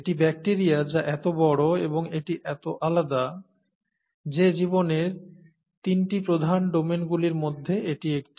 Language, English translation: Bengali, And it is so different, and so big that it is bacteria, is one of the three major domains of life, okay